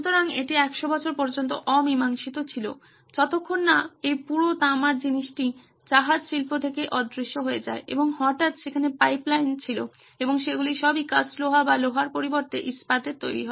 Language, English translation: Bengali, So this remained unsolved for a 100 years till this whole copper thing vanished from the ship industry and suddenly there were pipelines and those are all made of cast iron or iron rather iron